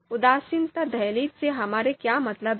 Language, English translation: Hindi, So what do we mean by indifference threshold